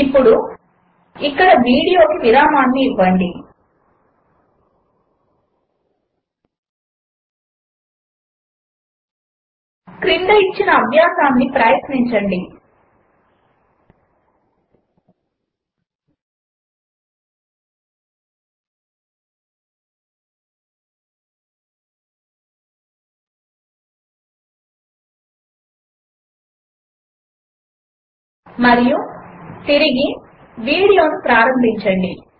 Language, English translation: Telugu, Now, pause the video here, try out the following exercise and resume the video